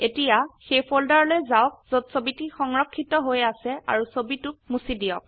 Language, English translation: Assamese, Now, go the folder where the image is stored and delete the image